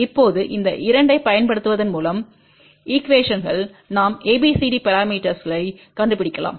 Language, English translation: Tamil, Now, by using these 2 equations we can find out the ABCD parameter